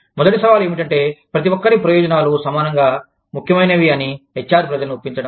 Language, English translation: Telugu, The first challenge is, convincing the HR people, that everybody's interests are, equally important